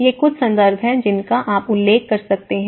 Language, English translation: Hindi, So, these are some of the references you can refer